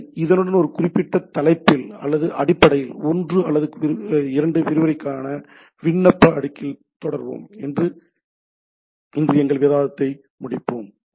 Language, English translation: Tamil, So, with this, let us conclude our discussion today we will continue on this particular topic or basically on application layer for one or two more lectures